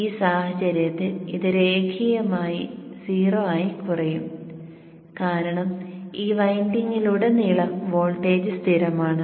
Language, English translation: Malayalam, In this case it will linearly decrease to zero because the voltage across this winding is constant